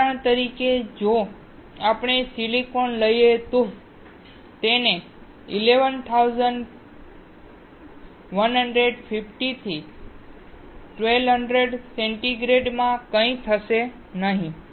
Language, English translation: Gujarati, For example, if we take a silicon, nothing will happen to it at 1150 to 1200 degree centigrade